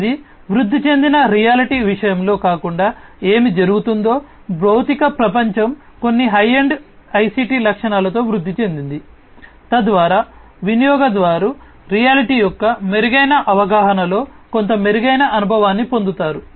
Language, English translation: Telugu, It you know unlike in the case of augmented reality, in augmented reality what is happening is the you know the physical world is augmented with certain you know high end ICT features, so that the user gets some kind of improved experience in improved perception of the reality